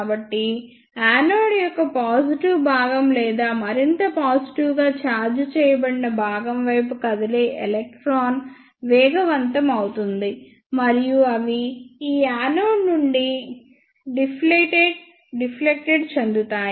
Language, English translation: Telugu, So, the electron which moves towards the positive portion of the anode or the portion which is more positively charged those electrons will be accelerated and they will be deflected from this anode